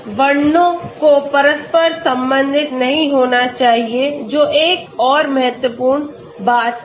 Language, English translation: Hindi, These descriptors should not be cross correlated that is another important thing okay